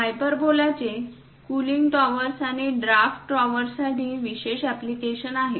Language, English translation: Marathi, Hyperbola has special applications for cooling towers and draft towers